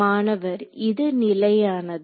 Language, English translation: Tamil, It is constant